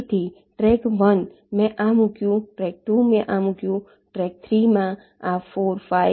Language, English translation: Gujarati, ok, so track one: i put this, track two, i put this